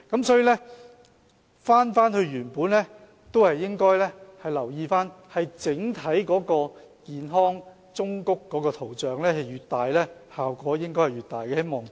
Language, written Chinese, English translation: Cantonese, 所以，返回原本的建議，我們應該留意整個健康忠告圖像越大，效果應該越大。, Hence back to the original proposal we should note that the effectiveness of the whole graphic health warnings should increase with their prominence